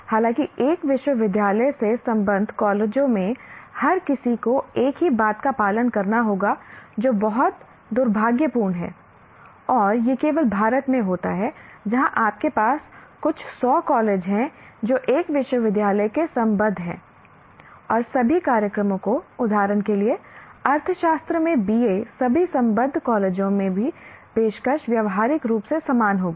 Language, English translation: Hindi, Though in your colleges affiliated to a university, everybody will have to follow the same thing, which is very unfortunate and that happens only in India where you have a few hundred colleges affiliated to one university and all programs will have to be, for example, BA in economics offered in all the affiliated colleges will have to be practically identical